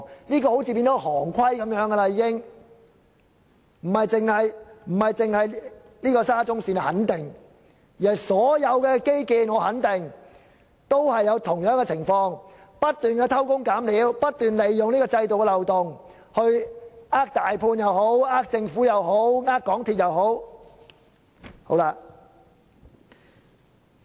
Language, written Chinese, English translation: Cantonese, 這種情況仿如成為行規，不僅是沙中線，我肯定所有其他基建都有相同情況，不斷偷工減料、不斷利用制度的漏洞來欺騙大判、政府或港鐵公司等。, This situation is so common as if it has become an established practice in the industry . Apart from the SCL project I am sure all other infrastructure projects have similar situations ie . cutting corners and exploiting loopholes in the system to deceive the main contractor the Government and MTRCL etc